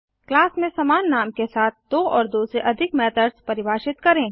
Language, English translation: Hindi, Define two or more methods with same name within a class